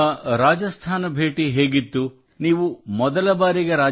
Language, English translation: Kannada, Did you go toRajasthan for the first time